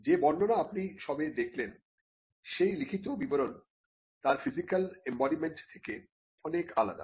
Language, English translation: Bengali, Now, the description as you just saw, the written description is much different from the physical embodiment itself